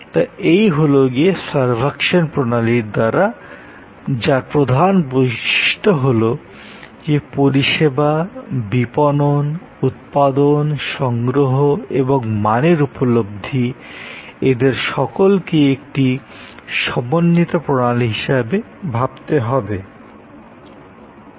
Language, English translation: Bengali, So, this is the servuction system, highlighting that in service, marketing, production, procurement, quality perceptions and all to be thought of as an integrated system